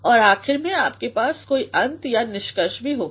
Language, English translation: Hindi, And then finally, you also will have a sort of end or conclusion